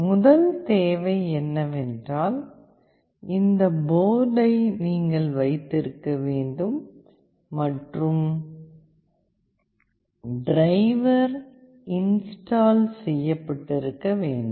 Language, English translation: Tamil, The first requirement is that you need to have this board in place and the driver installed